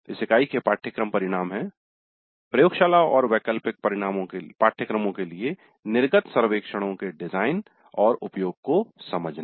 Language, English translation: Hindi, So the outcome for this unit is understand the design and use of exit surveys for laboratory and elective courses